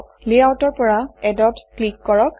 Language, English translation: Assamese, In Layouts, click Add